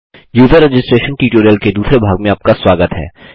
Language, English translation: Hindi, Welcome to the second part of the User registration tutorial